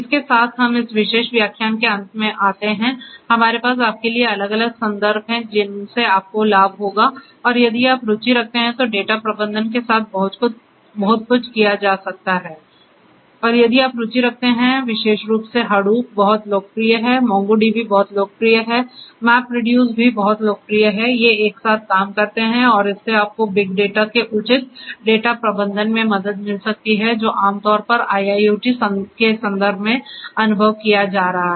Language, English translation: Hindi, So, with this we come to an end of this particular lecture we have this different difference is given to you, for you to benefit from and if you are interested you know there is a lot to do with data management and if you are interested particularly Hadoop is very popular, MongoDB is very popular, MapReduce is also very popular, these are once which work hand in hand and this can help you in proper data management of big data that is being that is experience typically in the context of in the context of in the context of IIoT